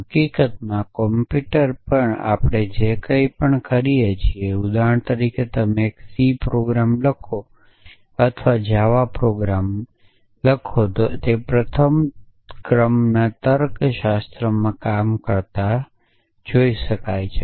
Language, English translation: Gujarati, In fact, everything that we do on a computer program in a on a computer for example, you write a c program or a java program can be seen as working in first order logic